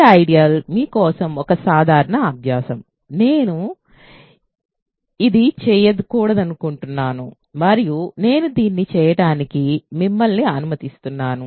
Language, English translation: Telugu, So, this is an ideal is a simple exercise for you which I do not want to do and I let you do this